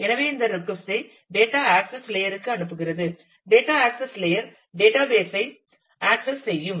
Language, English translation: Tamil, So, it passes on this request to the data access layer, the data access layer in turn access the database